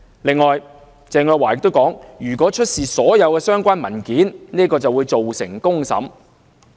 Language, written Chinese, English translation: Cantonese, 此外，鄭若驊又表示，如果出示所有相關文件，會造成公審。, Teresa CHENG further said that the production of all relevant documents would lead to a trial by the mob